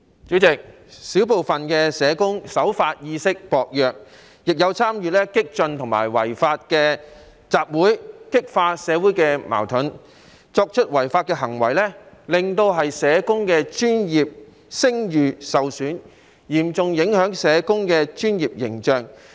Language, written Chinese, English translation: Cantonese, 主席，小部分社工守法意識薄弱，亦有參與激進及違法的集會，激化社會矛盾，作出違法行為，令社工的專業聲譽受損，嚴重影響社工的專業形象。, President the law - abiding awareness among a small number of social workers is weak and they have also participated in radical and illegal assemblies intensified social conflicts and violated the law . These social workers have tarnished the professional reputation of social workers and seriously undermined the professional image of social workers